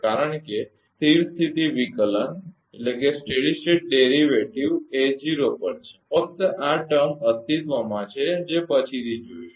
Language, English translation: Gujarati, Because, a steady state derivative is 0 only this term will exist that will see later